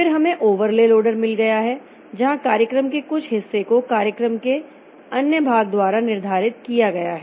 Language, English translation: Hindi, Then we have got overlay loaders where something, some part of the program is overlaid by some other part of the program